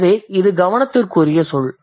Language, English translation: Tamil, So, that's an interesting term